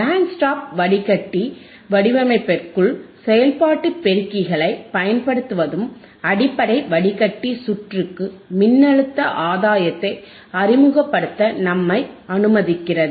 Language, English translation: Tamil, The use of operational amplifiers within the band stop filter design also allows us to introduce voltage gain into basic filter circuit right